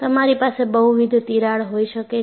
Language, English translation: Gujarati, You can have multiple cracks